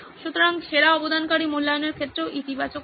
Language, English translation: Bengali, So the best contributor can get positive in terms of assessment also